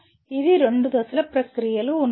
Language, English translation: Telugu, There are two step process